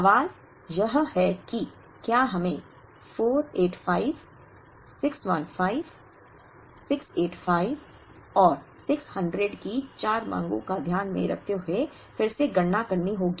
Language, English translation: Hindi, The question is do we have to compute r again considering the 4 demands of 485, 615, 685 and 600